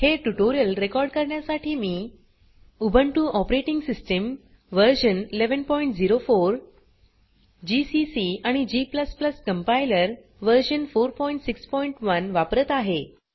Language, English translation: Marathi, To record this tutorial, I am using, Ubuntu Operating System version 11.04 gcc and g++ Compiler version 4.6.1